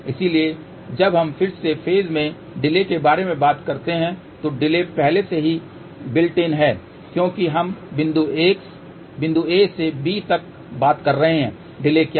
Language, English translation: Hindi, So, when we talk about again phase delay, so delay has already built in because we are talking from point a to b what is the delay